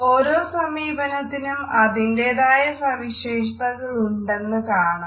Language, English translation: Malayalam, We can say that each approach has its own strength